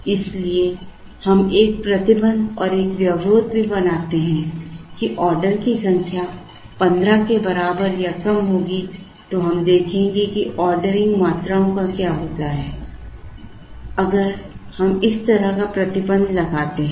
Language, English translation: Hindi, Therefore, we also build a restriction and a constraint that the number of orders will be less than or equal to 15 say and see, what happens to the ordering quantities, if we put this kind of a restriction